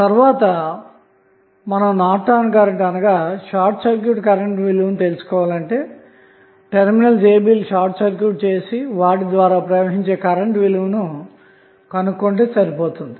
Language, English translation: Telugu, Now, next is we need to find out the value of Norton's current that means you have to short circuit the terminals A and B